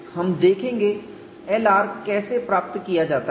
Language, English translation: Hindi, We will see how L r is obtained and how K r is obtained